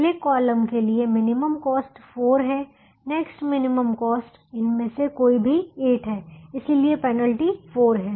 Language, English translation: Hindi, the next minimum cost is any of the eights, so eight, the penalty is four